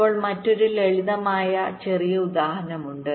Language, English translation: Malayalam, now there is another simple, small example